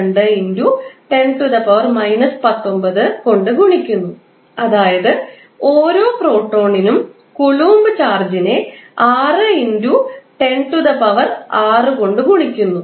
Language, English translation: Malayalam, 602*10^ 19 that is the coulomb charge per proton multiplied by 6*10^6